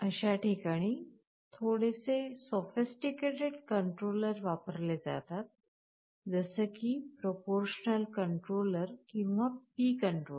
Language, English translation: Marathi, We can use something called a proportional controller or P controller